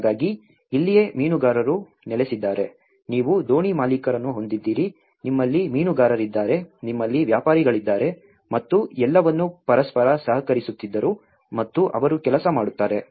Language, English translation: Kannada, So, this is where in the fishermen set up, you have the boat owners, you have the fishermen, you have the traders and everything used to cooperate with each other and they use to work